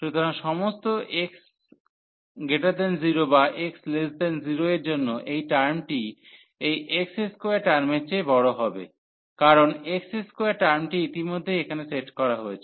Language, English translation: Bengali, So, for all x greater than 0 or x less than 0 this term is going to be larger than this x square term, because x square term already sets here